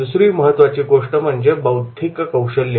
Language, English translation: Marathi, Second will be the intellectual skills